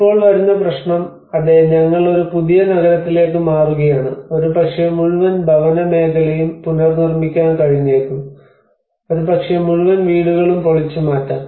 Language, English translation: Malayalam, Now comes the problem yes we are moving to a new city maybe the whole housing sector can be rebuilt again maybe we can demolish the whole housing